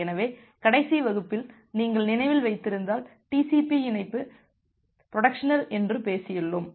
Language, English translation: Tamil, So, if you remember in the last class we have talked about that TCP connection is bidirectional